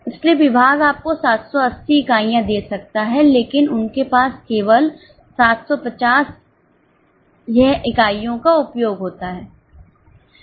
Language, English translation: Hindi, So, department could have used 7 units but they have used only 750 units